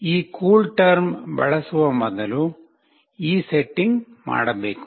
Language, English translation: Kannada, This setting must be done prior to using this CoolTerm